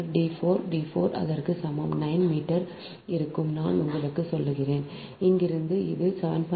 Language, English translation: Tamil, then d four, d four is equal to, it will be nine meter